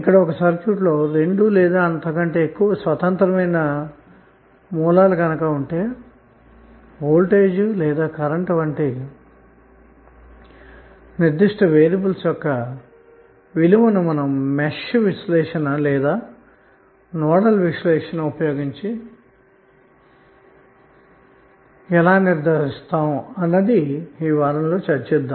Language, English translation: Telugu, Now if a circuit has 2 or more independent sources the one way to determine the value of a specific variables that is may be voltage or current is to use nodal or match analysis, which we discussed in the previous week